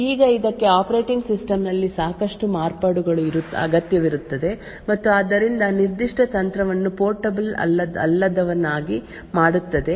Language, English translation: Kannada, Now this would require considerable of modifications in the operating system and therefore also make the particular technique non portable